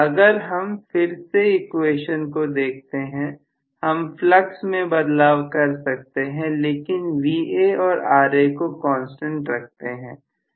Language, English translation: Hindi, So again looking at this equation we can say we can modify the flux but keep Va and Ra as constants